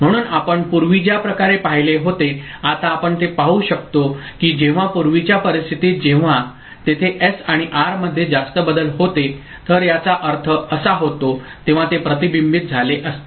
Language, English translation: Marathi, So, the way we had seen before, now we can see that whenever in the earlier case, if there were when it is high more changes in S and R occurs, I mean then it would have been reflected